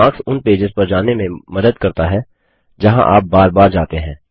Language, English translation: Hindi, Bookmarks help you navigate to pages that you visit or refer to often